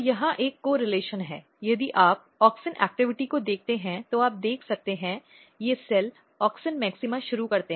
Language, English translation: Hindi, So, if there was a correlation if you look the auxin activity you can see that, these cells they start auxin maxima